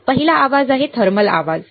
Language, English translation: Marathi, The first noise is thermal noise